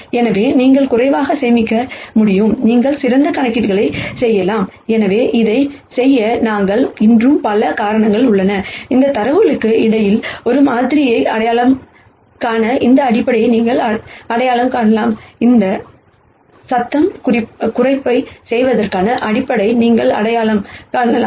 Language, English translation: Tamil, So that you can store less, we can do smarter computations and there are many other reasons why we will want to do this, you can identify this basis to identify a model between this data, you can identify a basis to do noise reduction in the data and so on